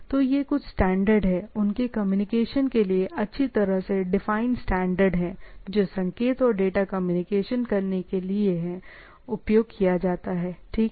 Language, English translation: Hindi, So, there are standards for, there are well defined standard for their communications or what we say signal and data communications that which are used by the things, right